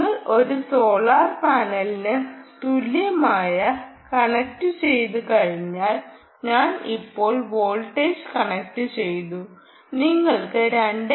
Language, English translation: Malayalam, once you connect equivalent of a solar panel i have just connected the voltage now you will get two point two straight away